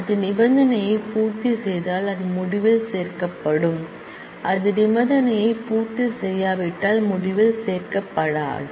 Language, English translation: Tamil, Then it will be included in the result, if it does not satisfy the condition, then it will not be included in the result